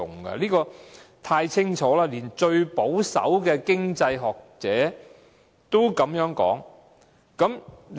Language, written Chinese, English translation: Cantonese, 這一點太清楚，連最保守的經濟學者也這樣說。, This point is clear enough even the most conservative economists have adopted this saying